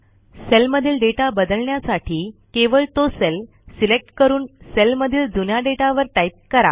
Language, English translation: Marathi, To replace the data in a cell, simply select the cell and type over the old data